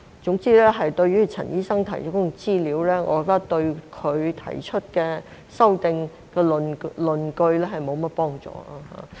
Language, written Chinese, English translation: Cantonese, 總之，陳醫生提出的資料，我覺得對他所提修訂的論據沒有甚麼幫助。, In a word I do not find the information presented by Dr CHAN helpful to substantiate the arguments behind his amendments